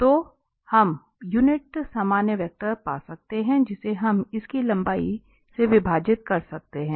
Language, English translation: Hindi, So, we can find the unit normal vector and which we can divide by its length